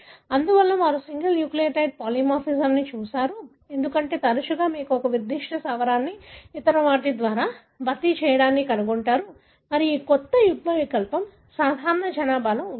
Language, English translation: Telugu, Therefore, they looked at single nucleotide polymorphism, because often you will find a particular base being replaced by other and this new allele is present in the normal population